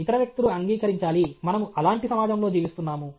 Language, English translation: Telugu, Other people have to accept; after all, we live in a society and so on